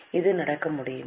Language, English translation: Tamil, Can this happen